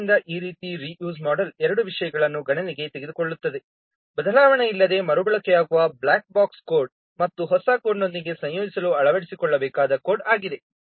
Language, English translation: Kannada, So this reuse model takes into account two things, the black bus code that is reused without change and the code that has to be adapted to integrate it with the new code